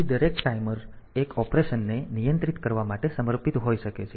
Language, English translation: Gujarati, So, each timer may be dedicated for controlling 1 operation